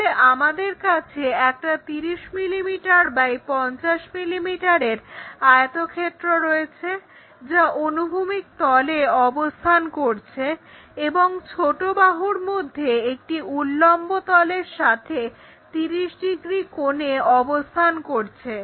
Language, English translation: Bengali, So, what we have is a 30 mm by 50 mm rectangle with the sides resting on horizontal plane, and one small side it makes 30 degrees to the vertical plane